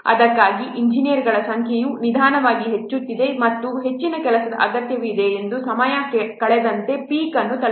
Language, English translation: Kannada, That's why the number of engineers slowly increases and reaches as the peak as the time progresses as more number of work is required